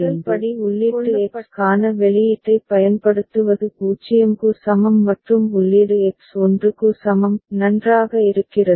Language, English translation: Tamil, So, the first step is using the output for input X is equal to 0 and input X is equal to 1; fine